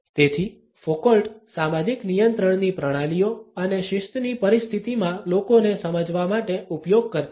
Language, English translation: Gujarati, So, Foucault used to understand the systems of social control and people in a disciplinary situation